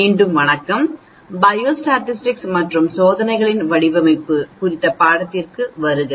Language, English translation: Tamil, Hello again, welcome to the course on Biostatistics and Design of Experiments